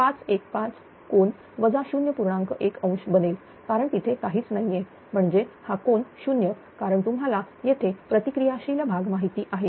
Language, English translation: Marathi, 1 degree because there is nothing means it is angle is 0 because here you have known reactive parts